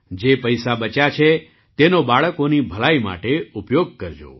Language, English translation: Gujarati, The money that is saved, use it for the betterment of the children